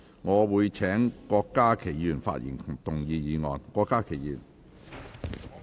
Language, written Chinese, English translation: Cantonese, 我請郭家麒議員發言及動議議案。, I call upon Dr KWOK Ka - ki to speak and move the motion